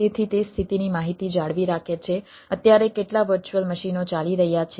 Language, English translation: Gujarati, so it maintains the status information as of now, how many virtual machines are running